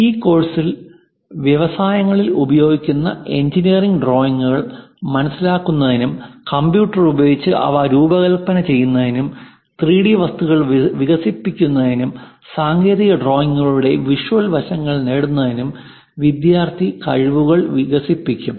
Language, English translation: Malayalam, So, during this course, the student will develop skills on understanding of engineering drawings used in industries, how to design them using computers and develop 3D objects, having visual aspects of technical drawings, these are the objectives of our course